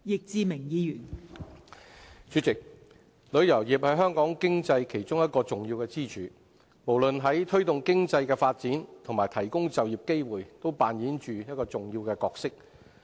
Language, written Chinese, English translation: Cantonese, 代理主席，旅遊業是香港經濟其中一個重要支柱，無論在推動經濟的發展及提供就業機會方面均扮演着重要的角色。, Deputy President tourism is one of the important pillars of the Hong Kong economy . It plays an important role in promoting economic development and providing employment opportunities